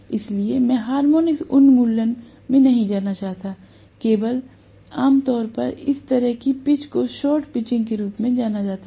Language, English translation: Hindi, So, I do not want to get into the harmonic elimination, but generally this kind of pitch is known as short pitching